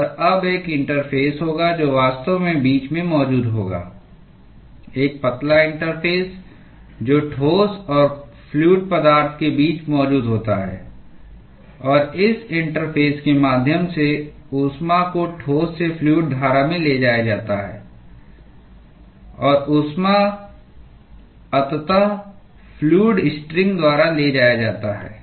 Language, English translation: Hindi, And now, there will be an interface which is actually present between a thin interface which is present between the solid and the fluid and the heat is transported from the solid to the fluid stream through this interface; and the heat is eventually carried by the fluid string